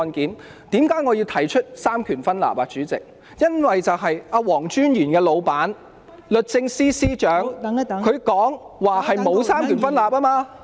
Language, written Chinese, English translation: Cantonese, 代理主席，我提及三權分立是因為黃專員的上司律政司司長說香港沒有三權分立。, Deputy President the reason why I have mentioned the separation of powers is because Solicitor General WONGs superior the Secretary for Justice said that there is no separation of powers in Hong Kong